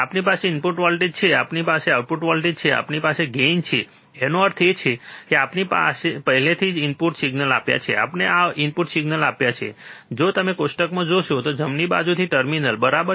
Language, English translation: Gujarati, We have input voltage we have output voltage, we have gain; that means, we have given already this input signal, we have given this input signal, if you see in the table, right to the inverting terminal right